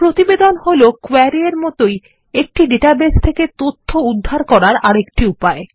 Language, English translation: Bengali, A report is another way to retrieve information from a database, similar to a query